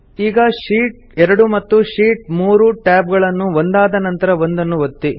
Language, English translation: Kannada, Now click on the Sheet 2 and the Sheet 3 tab one after the other